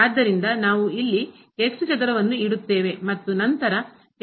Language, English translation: Kannada, So, we will put here square and then, will be again